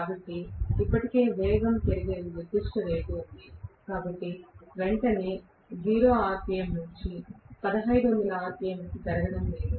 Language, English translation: Telugu, But still there is a specific rate at which the speed will increase; it is not going to increase right away from 0 rpm to 1500 rpm